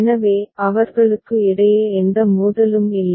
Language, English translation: Tamil, So, there is no conflict between them